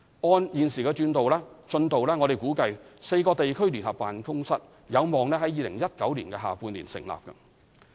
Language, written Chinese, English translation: Cantonese, 按現時進度，我們估計4個地區聯合辦公室可望於2019年下半年成立。, According to the current progress the four regional joint offices are expected to be set up in the second half of 2019